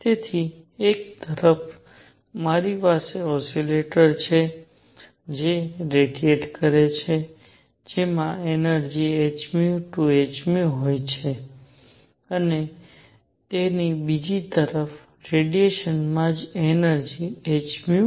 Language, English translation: Gujarati, So, on one hand, I have oscillators that radiate that have energy h nu 2 h nu and so on the other radiation itself has energy h nu